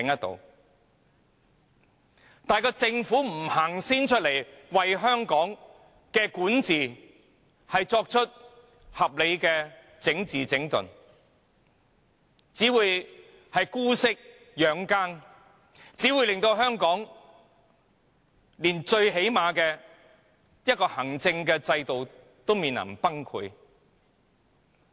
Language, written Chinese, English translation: Cantonese, 然而，如政府不為香港的管治先向前多走一步，作出合理的整治、整頓，便只會姑息養奸，令香港連最基本的行政制度也面臨崩潰。, However if the Government does not take a step forward pre - emptively in the governance of Hong Kong by making reasonable adjustments and rectifications but continue condoning the acts of evildoers it will bring the fundamental administration system of Hong Kong to the brink of collapse